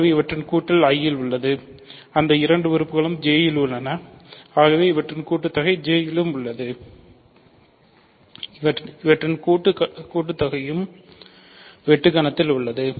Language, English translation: Tamil, So, their sum is in I those two things are in J their sum is in J